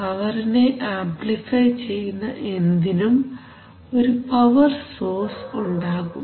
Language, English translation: Malayalam, It amplifies power, so anything which amplifies power usually has a power source